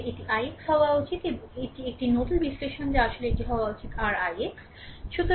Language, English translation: Bengali, Actually, it should be i x right, that is a nodal analysis actually this should be your i x right